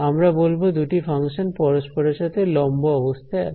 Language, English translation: Bengali, We say that these two functions are orthogonal to each other right